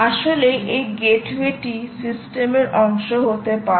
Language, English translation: Bengali, in fact, this gateway can actually be part of the system